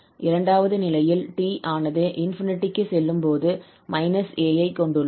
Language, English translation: Tamil, In the second case, t goes to infinity but then we have minus a